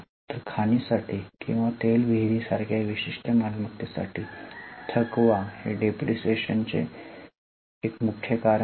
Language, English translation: Marathi, So, for specific assets like mines or like oil wells, the exhaustion is a major reason for depreciation